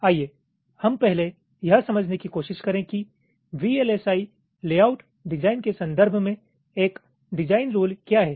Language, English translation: Hindi, ok, let us first try to understand what is a design rule in the context of vlsi layout design